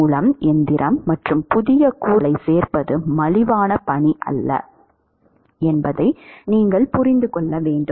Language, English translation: Tamil, By the way, you must understand that machining and adding new components is not a cheap task